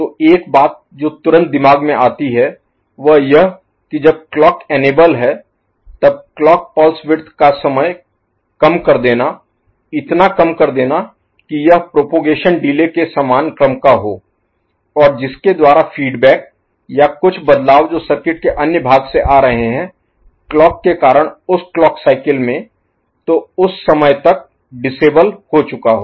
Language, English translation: Hindi, So, one thing that immediately comes to mind is to make the clock pulse width, during which it remains enabled, very narrow ok so narrow that it is of the order of the propagation delay and by which the feedback or some changes that is coming from other part of the circuit because of clocking in that particular cycle so, by that time it comes it has become disabled